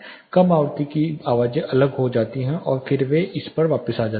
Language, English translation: Hindi, Low frequency sounds get diffracted and then they get back to this